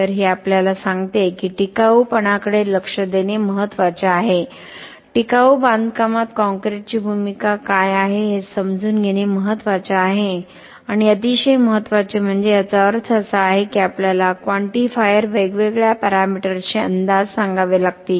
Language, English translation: Marathi, So, this tells us that it is important to look at sustainability, it is important to understand what is the role of concrete in sustainable construction and very importantly this means that we have to come up with quantifiers, estimates of the different parameters that could tell us if the concrete is more sustainable or not